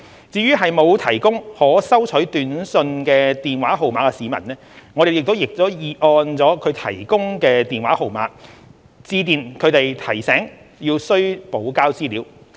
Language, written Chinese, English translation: Cantonese, 至於沒有提供可收取短訊的電話號碼的市民，我們亦已按其提供的電話號碼致電提醒他們需補交資料。, For those who have not provided SMS - enabled mobile phone numbers we have called them at the phone numbers provided to remind them to provide supplementary information